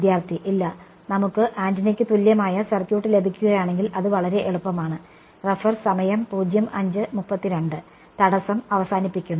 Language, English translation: Malayalam, No if we will get the equivalent circuit for the antenna it is very easy to terminates impedance